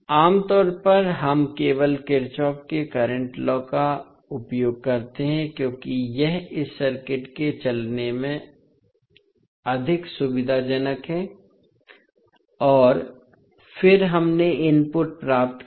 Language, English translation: Hindi, Generally, we use only the Kirchhoff’s current law because it is more convenient in walking through this circuit and then we obtained the input